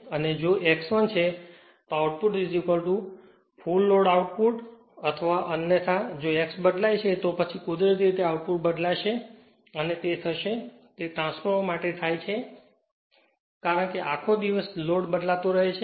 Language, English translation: Gujarati, And if X is 1, then output is equal to your full load output right or otherwise if your X varies, then naturally output will vary and it will and it happens for transformer because throughout the day load is changing